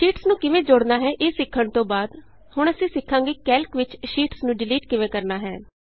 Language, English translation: Punjabi, After learning about how to insert sheets, we will now learn how to delete sheets in Calc